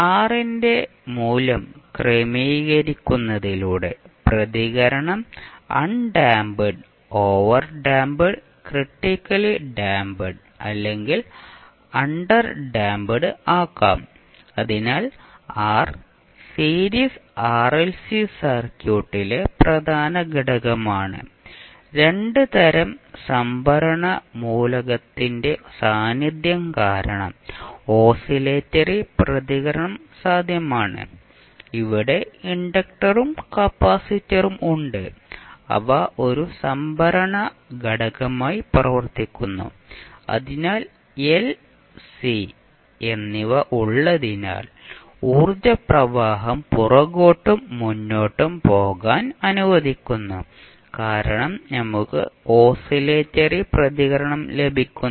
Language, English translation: Malayalam, No by adjusting the value of R the response may be made undamped, overdamped or critically damped or may be under damped, so the R is the important component in the series RLC circuit, oscillatory response is possible due to the presence of two types of the storage elements, so here we have inductor as well as capacitor which act as a storage element, so having both L and C allow the flow of energy back in forth because of that we get the oscillatory response